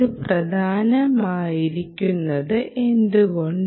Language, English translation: Malayalam, why is this important